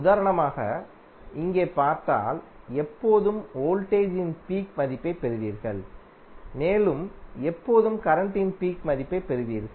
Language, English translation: Tamil, As for example if you see here, you will always get peak value of voltage and you will always get peak value of current